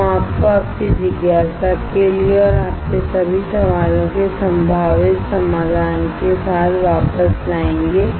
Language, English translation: Hindi, We will get you back with a possible solution for your curiosity and for all your questions